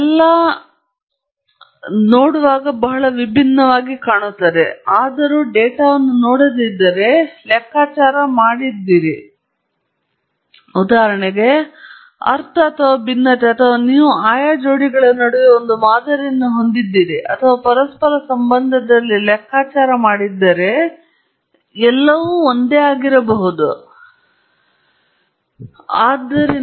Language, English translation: Kannada, They all look visually very different; however, if you had not looked at the data, and you had computed, for example, mean or variance or you had fit a model between the respective pairs or compute at a correlation, they would all be identical, they would all be identical